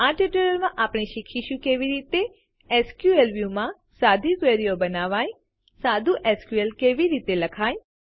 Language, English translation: Gujarati, In this tutorial, we will learn how to Create Simple Queries in SQL View, Write simple SQL